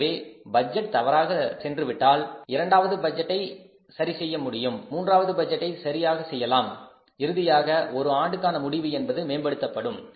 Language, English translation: Tamil, So, one budget goes wrong, second will do well, third will do well, ultimately the annual results can be improved